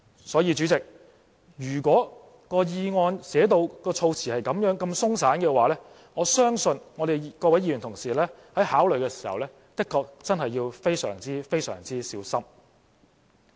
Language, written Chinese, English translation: Cantonese, 所以，主席，如果議案措辭如此鬆散，我相信各位議員同事在考慮時，的確真的要非常小心。, Therefore President if the wording of the motion is as loose as this I believe that Members must be very careful when considering it